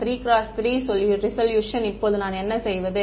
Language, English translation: Tamil, Higher resolution 3 cross 3 resolution now what do I do